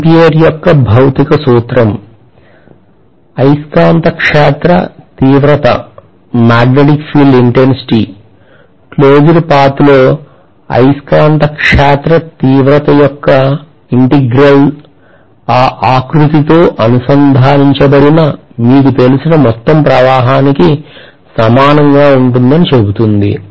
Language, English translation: Telugu, Because Ampere’s Law essentially says that the magnetic field intensity, the integral of magnetic field intensity along the closed path will be equal to the total current you know linked with that contour